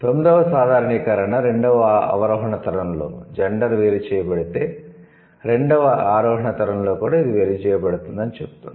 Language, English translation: Telugu, And the ninth general generalization says if sex is differentiated in the second descending generation, it is also differentiated in the second ascending generation